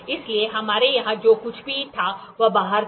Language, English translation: Hindi, So, whatever we had here was outside